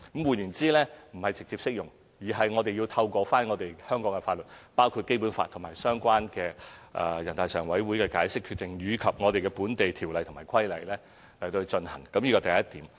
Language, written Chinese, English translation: Cantonese, 換言之，不是直接適用，我們須透過香港的法律，包括《基本法》和相關全國人大常委會的解釋和決定，以及本地條例和規例去落實，這是第一點。, In other words it cannot be applied directly to the territory we must implement it through Hong Kong laws which include the Basic Law relevant interpretations and decisions of the Standing Committee of the National Peoples Congress local legislation and regulations . This is point number one . Point number two